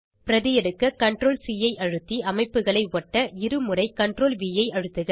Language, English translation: Tamil, Press CTRL + C to copy and CTRL+V twice to paste the structures